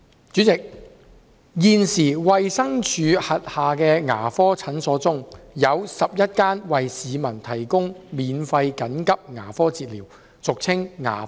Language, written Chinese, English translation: Cantonese, 主席，現時，衞生署轄下的牙科診所中，有11間為市民提供免費緊急牙科治療。, President currently among the dental clinics under the Department of Health 11 of them provide the public with free emergency dental treatment